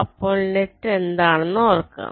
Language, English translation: Malayalam, so recall what is the net